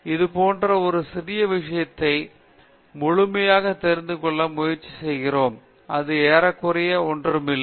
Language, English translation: Tamil, We try to know completely about such a small this thing, that it’s almost like nothing